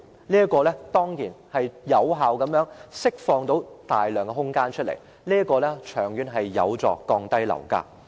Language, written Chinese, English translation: Cantonese, 這樣將可有效地釋放大量空間，長遠而言有助降低樓價。, This may effectively release plenty of spaces and help lowering property prices in the long run